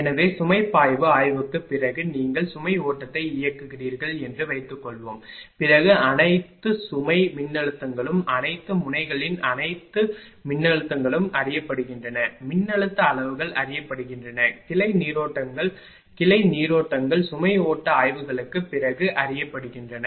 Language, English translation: Tamil, So, after the load flow study suppose you are running the load flow then all the load hold all the voltages of all the nodes are known, voltage magnitudes are known, branch currents also are branch currents are also known after the load flow studies right